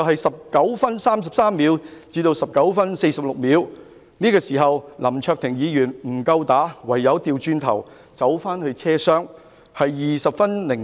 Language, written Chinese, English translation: Cantonese, 19分33秒至19分46秒，林議員與白衣人打鬥，但林議員不敵對手，唯有掉頭返回車廂，時間是20分02秒。, Between 19 minute 33 second and 19 minute 46 second Mr LAM fought with white - clad people but since he was no match to his adversary he could only turn around to get back into the train compartment at 20 minute 02 second